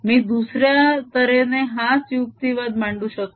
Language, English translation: Marathi, i can apply similar argument the other way